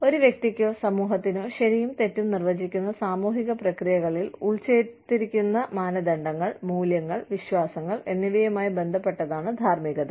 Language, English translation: Malayalam, Morality is concerned with, the norms, values, and beliefs, embedded in social processes, which defined, right and wrong, for an individual or a community